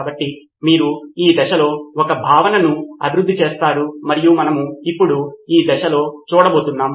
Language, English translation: Telugu, So that is, you develop a concept in this phase, in this stage and that is what we are going to see now